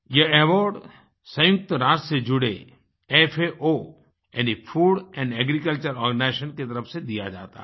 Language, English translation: Hindi, This award is given by the UN body 'Food & Agriculture Organisation' FAO